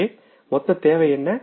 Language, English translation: Tamil, So what what is the total requirement